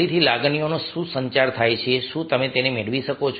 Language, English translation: Gujarati, again, what is emotion getting communicated